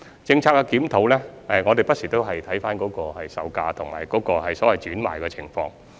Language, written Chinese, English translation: Cantonese, 就政策檢討，我們不時會看回售價和轉讓的情況。, In this connection we review the market price and the alienation situation from time to time